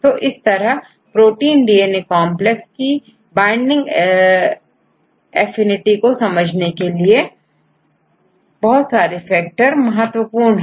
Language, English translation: Hindi, So, there are various databases available, which will give you the binding affinity of protein DNA complexes